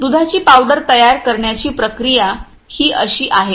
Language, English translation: Marathi, The process of milk powder manufacturing is like the way